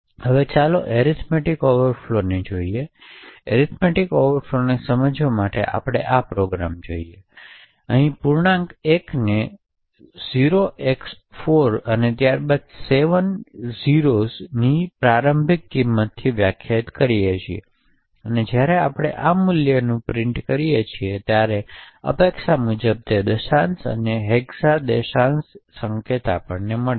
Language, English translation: Gujarati, Next people look at arithmetic overflows and to understand arithmetic overflows we look at this program, we define an integer l and initialise l to 0x4 followed by 7 0s and when we do print this value of l in decimal and hexa decimal notation we get what is expected